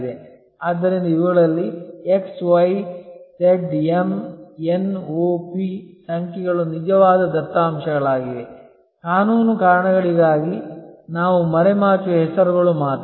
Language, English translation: Kannada, So, there can be X, Y, Z, M, N, O, P number of these are actual data, only the names we have camouflage for legal reasons